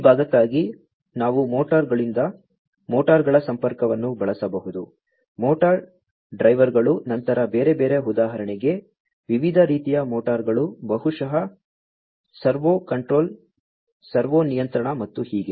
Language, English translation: Kannada, For this part, we could even use motors connection with motors, motor drivers then different other for example, different types of motors maybe you know servo control servo control and so on